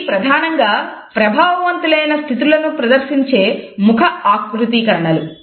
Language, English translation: Telugu, And they are primarily facial configurations which display effective states